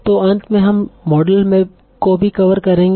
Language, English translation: Hindi, So finally we will also cover topic models